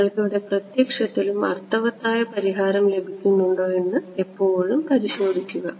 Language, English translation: Malayalam, Always check that you are getting a physically meaningful solution over here